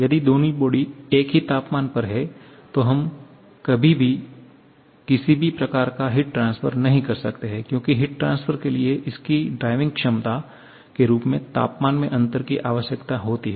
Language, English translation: Hindi, If both the bodies are at the same temperature, then we can never have any kind of heat transfer because heat transfer requires the temperature difference as its driving potential